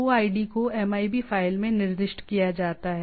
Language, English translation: Hindi, OID is a specified in a MIB file